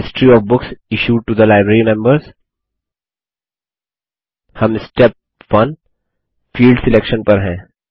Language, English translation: Hindi, History of books issued to the Library members We are in Step 1 Field Selection